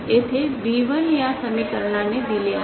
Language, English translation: Marathi, Here B1 is given by this equation